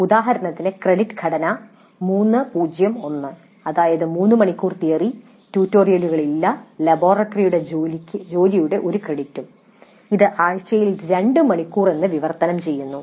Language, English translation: Malayalam, For example the credit structure may be 3 0 1, that means 3 hours of theory, no tutorials and one credit of laboratory work which typically translates to two hours of work per week